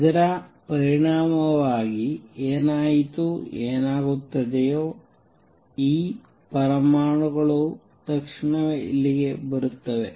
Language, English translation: Kannada, As a result what would happened these atoms that go to the upper level immediately come down here